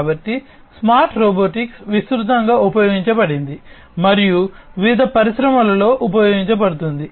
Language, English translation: Telugu, So, smart robotics is widely deployed and used in different industries